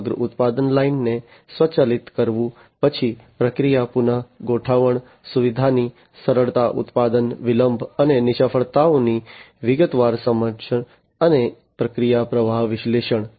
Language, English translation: Gujarati, So, automating the entire product line basically automating the entire product line; then ease of process re adjustment facility, detailed understanding of production delay and failures, and process flow analytics